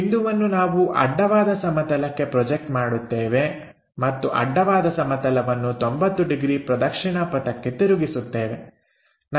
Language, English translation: Kannada, This point we project it on to horizontal plane and horizontal plane is made into 90 degrees clockwise direction